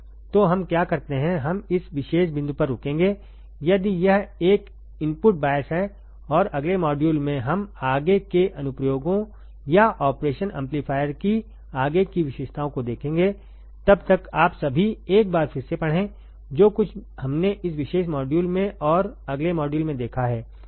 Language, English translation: Hindi, So, what we will do is we will stop at this particular point, if it is a input bias current and in the next module, we will see further applications or further characteristics of operation amplifier till then you all take care read again, once what whatever we have seen in this particular module and in the next module